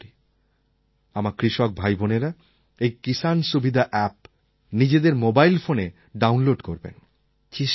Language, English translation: Bengali, I hope that my farmer brothers and sisters will download the 'Kisan Suvidha App' on their mobile phones